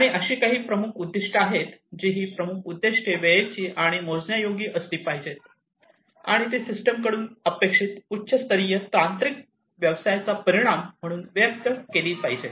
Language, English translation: Marathi, And there are certain key objectives these key objectives should be time bound and should be measurable, and they are expressed as high level technical business outcome expected from the system